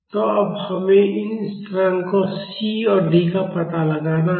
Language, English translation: Hindi, So, now, we have to find out these constants C and D